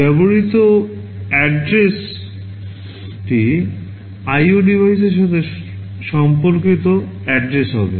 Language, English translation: Bengali, The address to be used will be the address corresponding to the IO devices